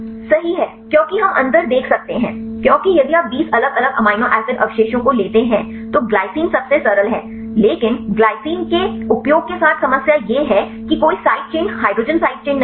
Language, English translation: Hindi, Right, because we can see the difference because if you take 20 different amino acid residues glycine is the simplest one, but the problem with using Glycine is there is no side chain hydrogen is side chain